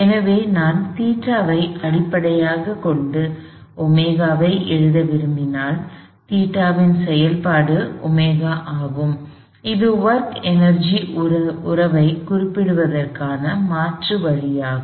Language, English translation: Tamil, So, if I know, if I want to write omega in terms of theta, omega is a function of theta, this is an alternate way of stating our work energy relationship